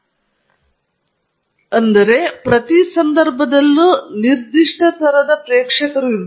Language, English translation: Kannada, And as I mentioned, there is a specific audience in each occasion